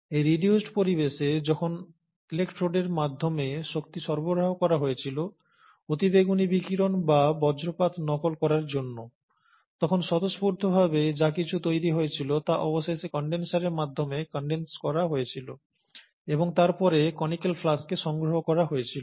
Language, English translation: Bengali, Now in this reduced environment, when the energy was supplied, to mimic ultra violet radiations or lightnings through electrodes, whatever was being spontaneously generated was then eventually condensed by the means of a condenser, and then collected at the collecting pole, or the collecting conical flask